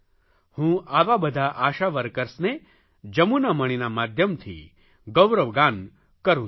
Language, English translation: Gujarati, I applaud all such ASHA workers through the story of Jamuna Mani